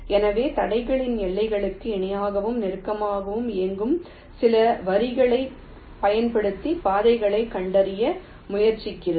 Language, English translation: Tamil, ok, so it is trying to trace the paths using some lines which are running parallel and close to the boundaries of the obstacles